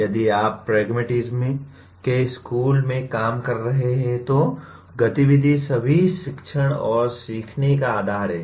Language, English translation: Hindi, If you are operating in the school of pragmatism, activity is the basis of all teaching and learning